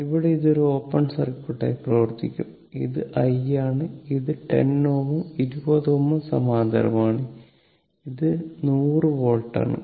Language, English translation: Malayalam, So, this is the capacitor was there it will act as an open circuit and this is i and this 10 ohm and 20 ohm are in parallel and this is 100 volt, right